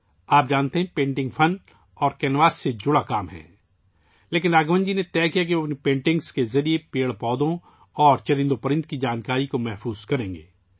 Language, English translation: Urdu, You know, painting is a work related to art and canvas, but Raghavan ji decided that he would preserve the information about plants and animals through his paintings